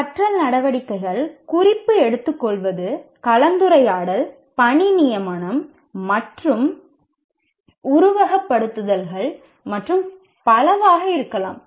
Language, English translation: Tamil, And these learning activities can be note taking, discussion, assignment writing, or simulations and so on and on